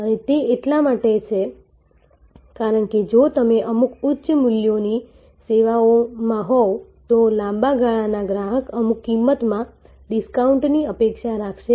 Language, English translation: Gujarati, And that is because if you in certain high values services, a long term customer will expect some price discount